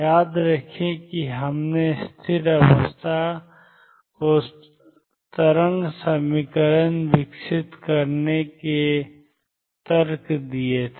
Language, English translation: Hindi, Remember we gave the arguments developing the stationary state to wave equation